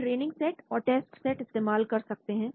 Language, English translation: Hindi, Training set and test set we can do